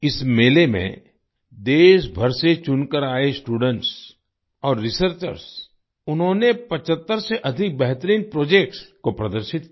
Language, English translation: Hindi, In this fair, students and researchers who came from all over the country, displayed more than 75 best projects